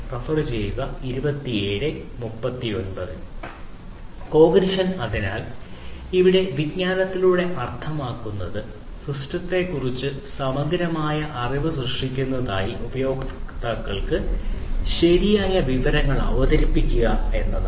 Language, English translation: Malayalam, So, here by cognition what is meant is basically the proper presentation of information to users for generating thorough knowledge of the system